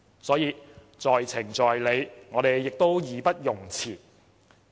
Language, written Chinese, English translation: Cantonese, 所以，在情在理，我們義不容辭。, So it is both reasonable and justifiable that we offer help